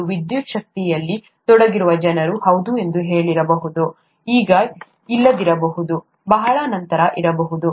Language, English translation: Kannada, And all the, all that the people could say who were involved with electricity is yes, may not be now, may be much later